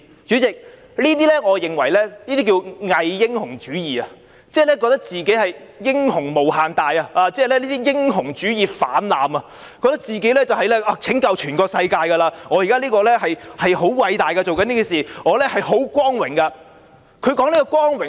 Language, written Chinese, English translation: Cantonese, 主席，我認為這可稱之為偽英雄主義，即以為自己是英雄無限大，英雄主義泛濫，以為自己在拯救全世界，現時所做的事十分偉大，感到很光榮。, This is again an attempt to divert attention . President I would call this pseudo - heroism as he thinks that he himself is a great hero . He is just too engrossed in heroism thinking that he is the saviour of the world and what he has done is so great that he considers it a great honour